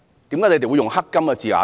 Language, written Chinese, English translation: Cantonese, 為何你們會用"黑金"這字眼呢？, Why would you adopt the term black gold?